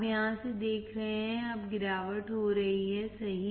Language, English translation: Hindi, You see from here, now the fall off is occurring right